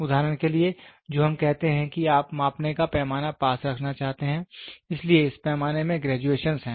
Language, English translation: Hindi, For example, what we say is you try to have a measuring scale so, this scale has graduations